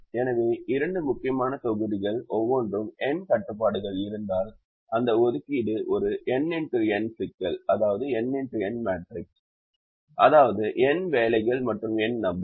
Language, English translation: Tamil, so the two important sets of constraints each has n constraints if the assignment is a, n by n, n problem, n jobs and n people